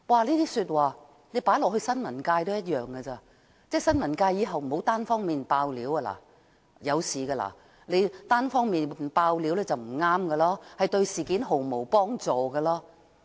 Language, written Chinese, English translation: Cantonese, 這些說話放在新聞界也一樣，即新聞界以後不要單方面"爆料"，單方面"爆料"是不對的，對事件毫無幫助。, These remarks also apply to the press ie . the press should not unilaterally disclose information in the future as it is incorrect to do so and will not help resolve the issue in any way